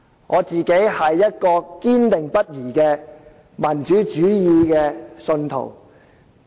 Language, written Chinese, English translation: Cantonese, 我個人是堅定不移的民主主義信徒。, I am an unswerving believer in democracy